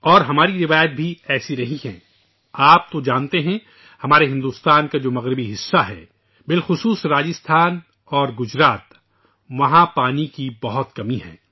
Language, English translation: Urdu, You know, of course, that the western region of our India, especially Gujarat and Rajasthan, suffer from scarcity of water